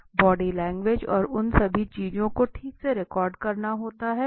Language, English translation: Hindi, The body language and all those things have to be recorded right